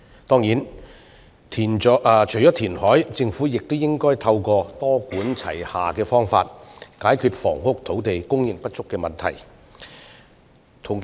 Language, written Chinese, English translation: Cantonese, 當然，除了填海外，政府亦應透過多管齊下的方式，解決房屋土地供應不足的問題。, Certainly apart from reclamation the Government should also adopt a multi - pronged approach to resolve the problem of insufficient supply of housing land